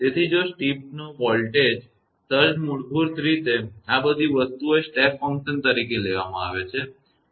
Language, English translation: Gujarati, So, if a voltage surge of step basically all these things are taking step function